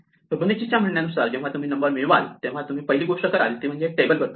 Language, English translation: Marathi, Now what Fibonacci says is, the first thing you do when you get a number is try and look up the table